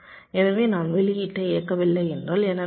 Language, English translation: Tamil, so if i am not enabling the output, then what will happen